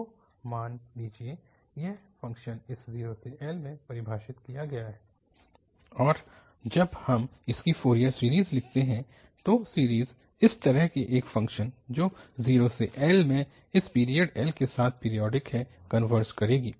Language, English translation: Hindi, So, suppose this is the function in 0 to L and when we write its Fourier series then it will have just an, that series will converge to such a function which is a periodic with period this 0 to L